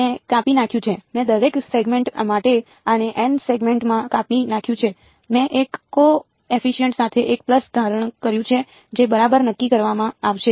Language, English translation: Gujarati, I have chopped up; I have chopped up this into n segments for each segment I have assumed 1 pulse with a coefficient that is going to be determined ok